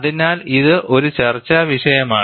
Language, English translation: Malayalam, So, it is a debatable point